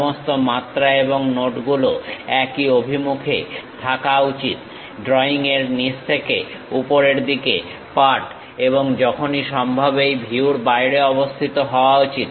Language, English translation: Bengali, All dimensions and notes should be unidirectional, reading from the bottom of the drawing upward and should be located outside of the view whenever possible